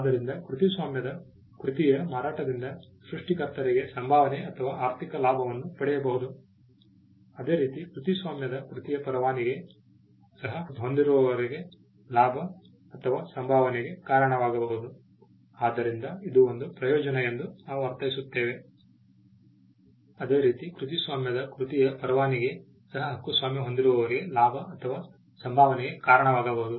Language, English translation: Kannada, So, the sale of a copyrighted work can result in remuneration for the creator similarly licence of copyrighted work can also result in a gain or a remuneration for the copyright holder